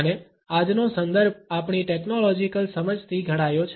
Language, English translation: Gujarati, And today’s context is moulded by our technological understanding